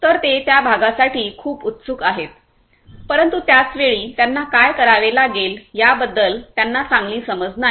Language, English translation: Marathi, So, they are very keen on that option part, but they at the same time they do not have good understanding about what needs to be done